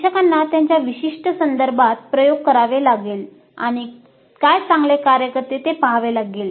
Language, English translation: Marathi, So, the instructors have to experiment in their specific context and see what works best